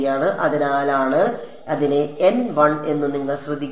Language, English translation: Malayalam, So, that is why you notice that its N 1